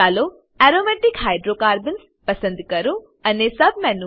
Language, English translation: Gujarati, Lets select Aromatic Hydrocarbons and click on Benzene from the Submenu